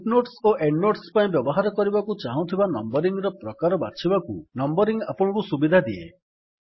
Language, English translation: Odia, Numbering allows you to select the type of numbering that you want to use for footnotes and endnotes